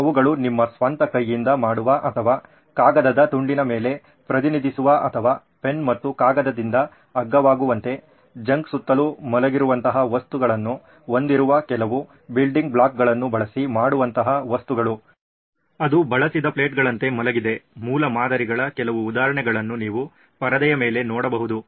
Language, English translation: Kannada, They are things that you make with your own hand or represent on a piece of paper or make it using some building blocks like make it cheap with a pen and paper, with stuff that is lying around junk, that is lying around like used plates what you can see on the screen are some examples of prototypes